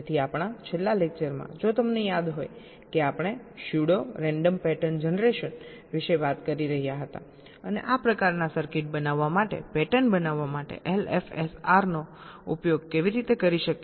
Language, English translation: Gujarati, so in our last lecture, if you recall, we were talking about pseudo random pattern generation and how we can use l f s r to generate the patterns for building such type of a circuits